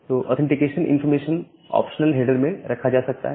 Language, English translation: Hindi, So, the authentication information can be put inside the optional header